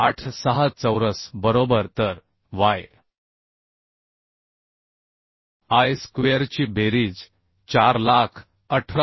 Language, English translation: Marathi, 86 square right So summation of yi square will become 418877